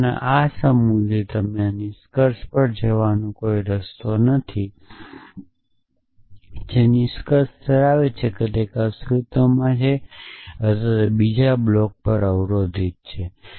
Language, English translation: Gujarati, There is no way you can move from this set of data to this conclusion essentially the conclusion holds that one the exists a block on another block